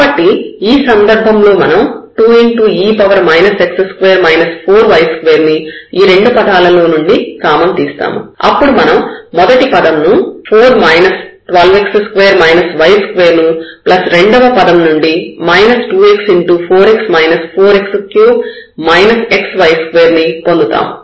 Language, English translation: Telugu, So, in this case we will take this common 2 e power minus x square and minus 4 y square, from here we have 4 minus 12 x square minus y square, here we have taken this common here 2 times the x